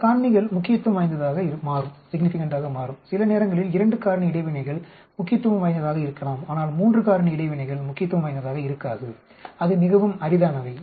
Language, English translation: Tamil, Several factors will become significant, sometimes 2 factor interactions may be significant but 3 factor interactions might not be significant at all very rare